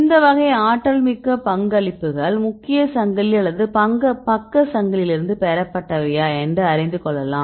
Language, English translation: Tamil, Right, then you need to see whether the contribute energetic contributions are from the main chain or from the side chain